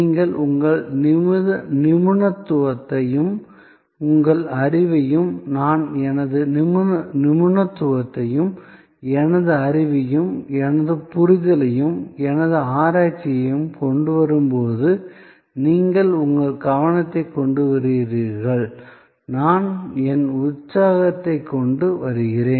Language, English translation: Tamil, When you bring your expertise, your knowledge and I bring my expertise, my knowledge, my understanding and my research and you bring your attention and I bring my enthusiasm